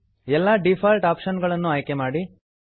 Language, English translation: Kannada, Choose all default options